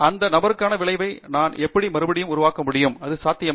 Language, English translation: Tamil, How can I reproduce the same result that this person has, is it even possible